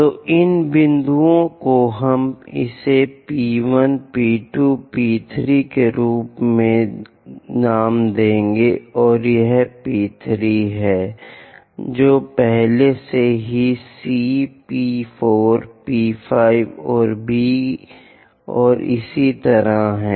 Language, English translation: Hindi, So, these points we will name it as P 1, P 2, P 3, this is P 3 which is already C, P 4, P 5, and B and so on